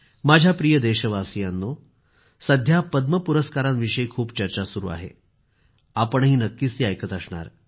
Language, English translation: Marathi, My dear countrymen, these days you must be hearing a lot about the Padma Awards